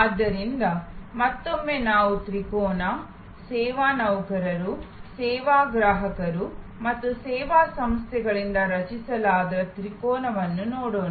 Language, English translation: Kannada, So, again we will look at the triangle, the triangle constituted by service employees, service consumers and service organizations